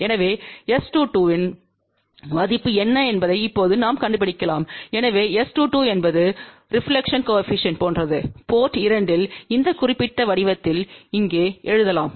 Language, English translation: Tamil, So, now we can find out what is the value of S 2 2, so what is S 2 2 same as reflection coefficient at port 2 and that can be written in this particular form here